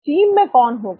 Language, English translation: Hindi, Who will be in the team